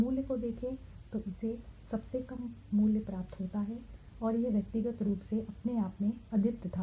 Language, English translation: Hindi, Look at the value it is got a lowest value right and it was individually unique in itself right